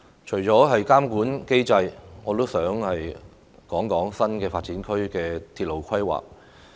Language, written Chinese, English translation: Cantonese, 除了監管機制，我也想談談新發展區的鐵路規劃。, In addition to the regulatory regime I would like to talk about the railway planning for NDAs